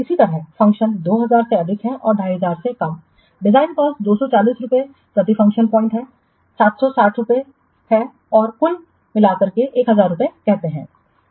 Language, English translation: Hindi, Similarly, the function points greater than 2000 and less than 2,500 design cost is 240, coding cost per function point is 760 and so total is 1,000 rupees